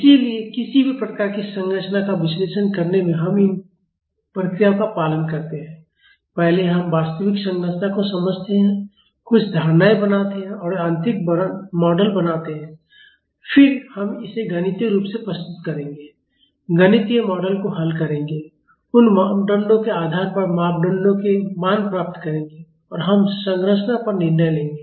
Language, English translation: Hindi, So, in analyzing any kind of a structure we follow these procedure; first we understand the real structure make some assumptions and create mechanical model, then we will represent this mathematically, solve the mathematical model, get the values of the parameters, based on those parameters and we decide on the structure